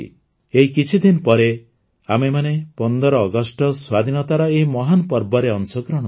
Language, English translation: Odia, In a few days we will be a part of this great festival of independence on the 15th of August